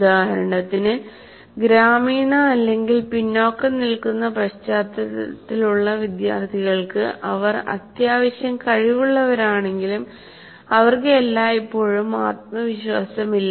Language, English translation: Malayalam, For example, students from rural or disadvantaged backgrounds, though they are reasonably competent, will always have a question of lack of confidence